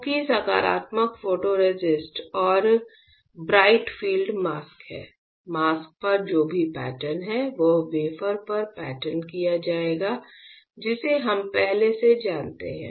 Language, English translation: Hindi, Since the positive photoresist and bright field mask are there whatever the pattern is there on the mask will be patterned on the wafer that we already know